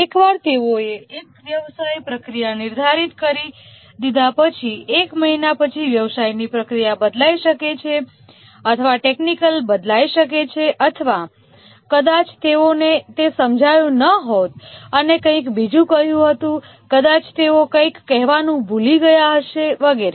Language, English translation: Gujarati, Once they have defined a business procedure, maybe after a month the business procedure changes or maybe the technology changes or maybe they might have not understood what is required and told something else